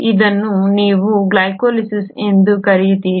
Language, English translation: Kannada, This is what you call as glycolysis